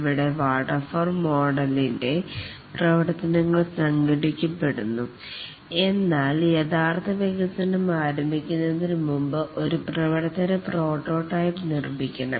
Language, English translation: Malayalam, Here, just like the waterfall model, the activities are organized but then before starting the actual development, a working prototype must be built